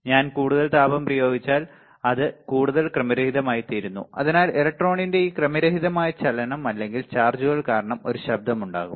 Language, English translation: Malayalam, And if I apply more heat then it becomes even more random, so this random motion of the electron or the charges or cause would cause a noise ok